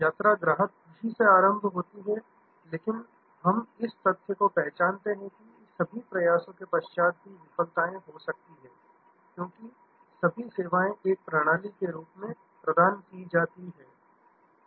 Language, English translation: Hindi, The journey starts from customer delight, but we recognize the fact that in spite of all efforts, there may be failures, because after all services are provided as a system